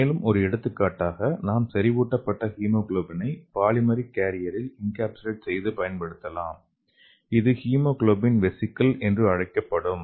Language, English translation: Tamil, So recently, some of the other examples like we can use the concentrated hemoglobin and we can encapsulate into the polymeric carrier that is called as hemoglobin vesicle